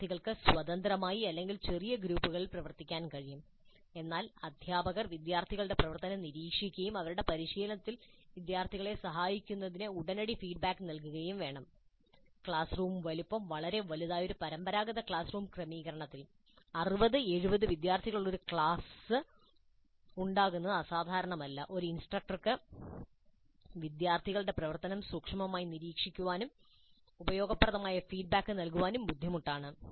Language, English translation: Malayalam, Students could work either independently or in small groups, but teacher must monitor the student activity and provide feedback immediately to help the students in their practice, which means that in a traditional classroom setting where the classroom size is fairly large, it's not unusual to have a class of 60, 70 students, for one instructor to closely monitor the student activity and provide useful feedback may be very difficult